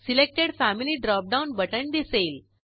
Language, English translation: Marathi, Selected Family drop down button appears